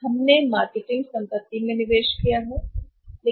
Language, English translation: Hindi, We have made investment in the marketing assets